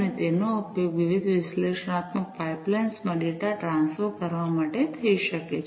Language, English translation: Gujarati, And those could be used to transfer the data to different analytical pipelines